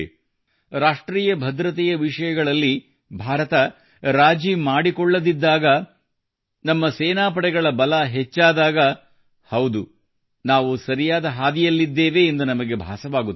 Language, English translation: Kannada, When India does not compromise on the issues of national security, when the strength of our armed forces increases, we feel that yes, we are on the right path